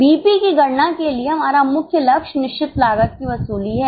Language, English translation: Hindi, For calculation of BP, our main goal is recovery of fixed costs